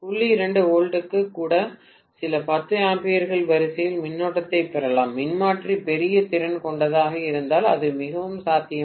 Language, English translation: Tamil, 2 volts I may get a current of the order of a few 10s of ampere, it is very much possible if the transformer is of large capacity